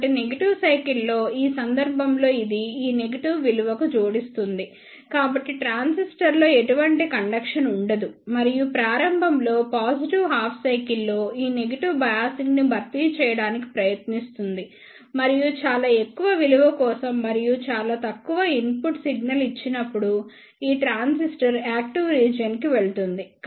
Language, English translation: Telugu, So, in this case for the negative cycle it will add up to this negative value so there will not be any conduction in the transistor and for the positive half cycle in the starting it will try to compensate for this negative bias and for very high value and for the very small portion of the input signal this transistor will go into the active region